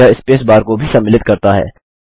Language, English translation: Hindi, It also contains the space bar